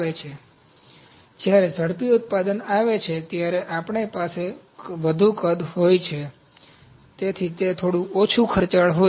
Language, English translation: Gujarati, So, when rapid manufacturing comes, we have higher volume, therefore it is a little less expensive